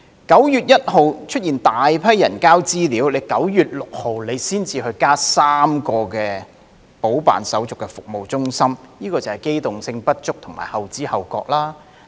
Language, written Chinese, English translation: Cantonese, 9月1日出現大批人提交資料 ，9 月6日當局才增設3間補辦手續的服務中心，這就是機動性不足及後知後覺。, On 1 September a of people turned up to submit information but it was not until 6 September that three additional service centres were set up for people to complete the process . This represents a lack of manoeuvrability and belated awareness